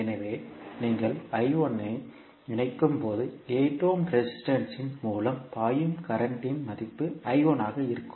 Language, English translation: Tamil, So when you connect I 1 it means that the value of current flowing through 8 ohm resistance will be I 1